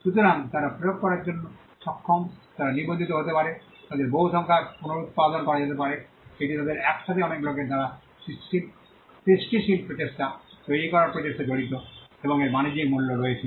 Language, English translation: Bengali, So, they are capable of being enforced they can be registered they can be duplicated reproduced in many numbers, it involves effort to create them a creative effort sometime by many people put together and it has commercial value